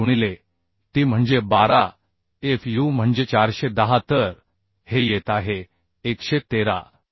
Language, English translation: Marathi, 25 into t is 12 fu is 410 so this is coming 113